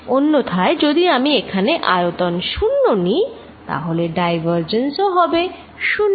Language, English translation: Bengali, On the other hand, if I take volume here nothing accumulates then divergent is 0